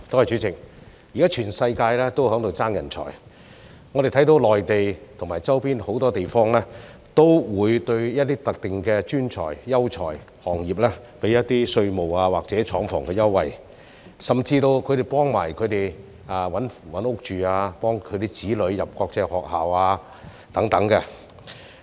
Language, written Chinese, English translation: Cantonese, 主席，現時全世界也在爭奪人才，我們看到內地和周邊很多地方都會對一些特定的專才、優才和行業提供稅務或廠房優惠，甚至會幫他們尋找住屋，又會幫助他們的子女入讀國際學校等。, President nowadays the whole world is competing for talents . We see that many places in the Mainland and the surrounding areas offer some tax concessions or concessions for setting up plants to some specific professionals talents and industries and even help them find housing and help their children attend international schools